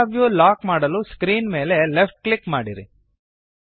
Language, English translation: Kannada, Left click on the screen to lock the camera view